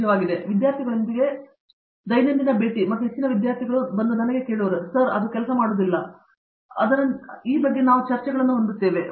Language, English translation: Kannada, So, I meet with the studentsÕ everyday and most of the days the students will tell me; Sir, I tried that you know it did not work and we have discussions like that